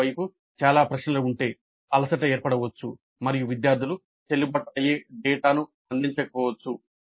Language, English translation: Telugu, On the other hand, if there are too many questions, fatigue may sit in and students may not provide valid data